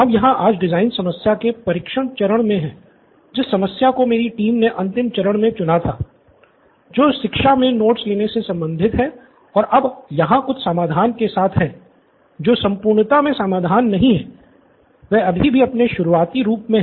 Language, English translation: Hindi, We are going to do the testing phase of the design problem that my team took up in the last phase, which was related to education about note taking and we arrived at a solution some, not solution in its entirety, they still in its raw form